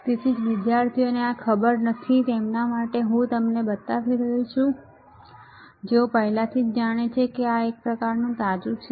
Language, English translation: Gujarati, So, for those students who do not know this is what I am showing it to you for those students who already know it is kind of refreshed